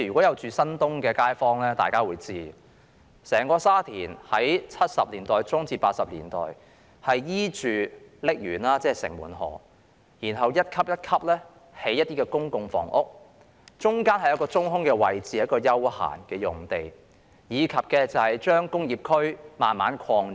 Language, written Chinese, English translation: Cantonese, 居住在新界東的街坊會知道，整個沙田的發展，是在1970年代中至1980年代，沿着瀝源，即城門河，一級一級地興建公共房屋，中間有一個中空位置，是一幅休憩用地，以及把工業區慢慢擴展。, People who reside in the New Territories East know that the development of Sha Tin was undertaken from the mid - 1970s to 1980s . Public housing estates were developed step - by - step along the banks of the Shing Mun River and a strip of land in the middle was reserved as open space . Industrial areas were extended in a gradual manner